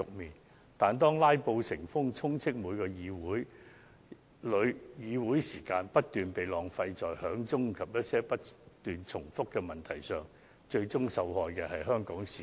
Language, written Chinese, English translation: Cantonese, 然而，當"拉布"成風，議會時間不斷被浪費於響鐘及不斷重複提問上，最終受害的是香港市民。, However when filibustering has become the norm where the time of this Council has been wasted on incessant ringing of quorum bell and repetition of questions by Members it will be the Hong Kong citizens to suffer in the end